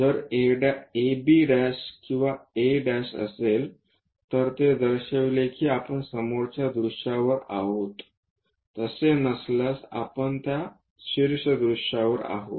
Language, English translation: Marathi, If there is a letter a’ b’ or a’ it indicates that we are on the front view, without’ we are on that top view